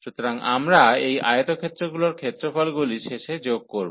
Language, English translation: Bengali, So, we will get finally the area of these rectangles in the finite sum